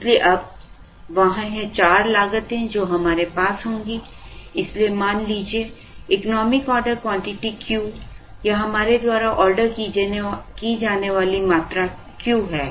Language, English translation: Hindi, So now, there are four costs that we will have, so let the economic order quantity be Q or the quantity that we order is Q